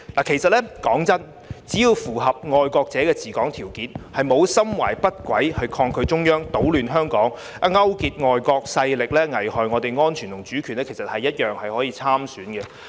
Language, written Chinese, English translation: Cantonese, 其實，坦白說，只要符合"愛國者治港"條件，沒有心懷不軌地抗拒中央、搗亂香港、勾結境外勢力危害國家安全和主權，一樣可以參選。, In fact frankly speaking they can still stand for election as long as they meet the criterion of patriots administering Hong Kong and harbour no such ill - intention as defying the Central Government stirring up trouble in Hong Kong or colluding with foreign forces to endanger national security and sovereignty